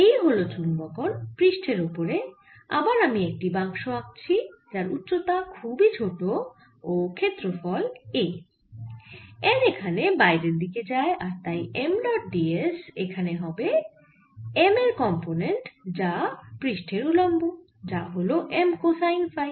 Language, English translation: Bengali, if i come to this surface and make this again, this particular box of very vanishing height but area a, notice that on the inner surface the n is going out and therefore m dot d s from this is going to be the component of m perpendicular to the surface, which is m cosine of phi